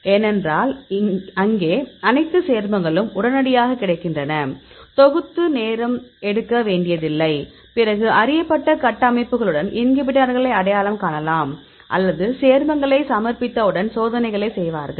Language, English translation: Tamil, Because there all the compounds readily available, so do not have to synthesis and take time, then we can identify the inhibitors with known structures and once we submitted the compound then they will do experiments